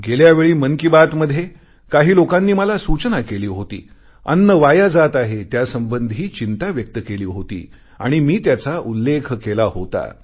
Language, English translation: Marathi, In the previous 'Mann Ki Baat', some people had suggested to me that food was being wasted; not only had I expressed my concern but mentioned it too